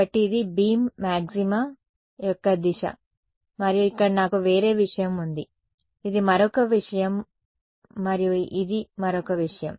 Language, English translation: Telugu, So, this is the direction of beam maxima and then I have something else over here right this is another thing and this is yet another thing